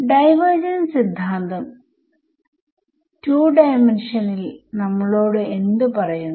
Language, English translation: Malayalam, Now I want to evaluate this divergence theorem in 2 D over here